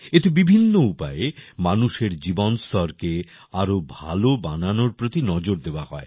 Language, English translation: Bengali, In this, full attention is given to improve the quality of life of the people through various measures